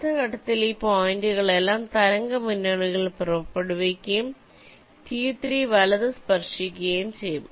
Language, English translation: Malayalam, in the next step, all these points will start wavepoints and t three will be touched right